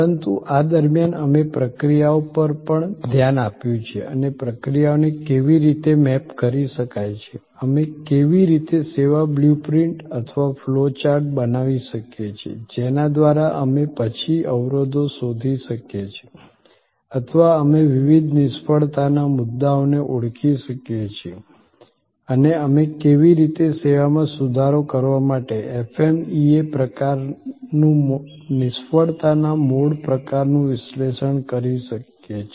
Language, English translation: Gujarati, But, in the mean time we have also looked at processes and how processes can be mapped, how we can create a service blue print or flow chart through which we can then find out the bottlenecks or we can identify the various fail points and how we can do an FMEA type of failure mode type of analysis to improve upon the service